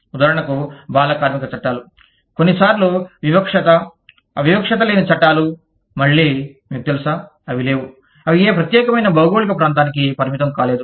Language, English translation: Telugu, For example, child labor laws, are sometimes, even discriminatory, anti discriminatory laws are, again, you know, they do not, they are not confined, to any particular geographical region